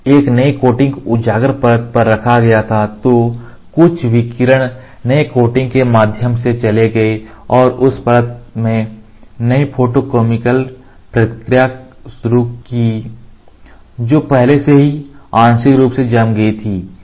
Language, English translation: Hindi, When a fresh coating was put on the exposed layer some radiation went through the new coating and initiated new photochemical reaction in the layer that was already partially cured